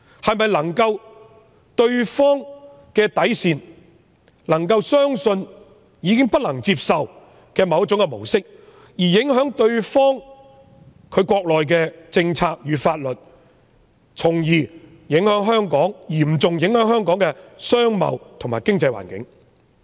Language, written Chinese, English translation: Cantonese, 情況是否已超越對方的底線，令他們相信香港已經出現他們不能接受的某種模式，影響他們國內的政策與法律，從而嚴重影響香港的商貿和經濟環境？, Will the situation cross their bottom lines driving them to think that Hong Kong has now adopted a model unacceptable to them and affects their local policies and laws thereby seriously affecting the business and economic environment of Hong Kong?